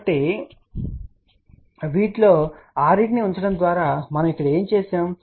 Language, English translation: Telugu, So, what we have done here by putting 6 of these